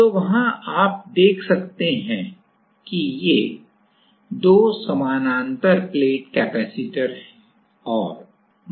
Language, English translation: Hindi, So, there you can see that these are let us say 2 parallel plate capacitor